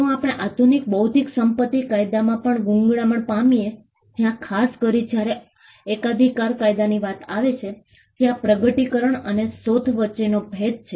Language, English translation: Gujarati, If we find strangle even in modern intellectual property law, where especially when it comes to patent law there is a conundrum between discovery and invention